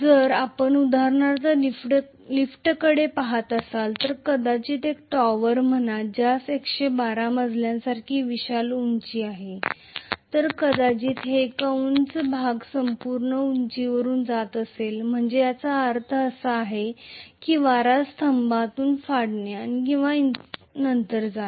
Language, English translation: Marathi, If you are for example looking at an elevator which is probably going in say a tower which is having a huge height like 112 floors, so it is going to go through the entire height in a fraction of maybe a minute, so which means it has to tear through the wind column and then go